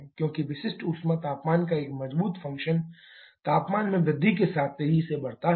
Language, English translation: Hindi, Because specific heat, a strong function of temperature increases rapidly with increase in temperature